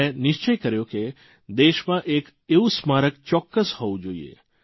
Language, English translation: Gujarati, And I took a resolve that the country must have such a Memorial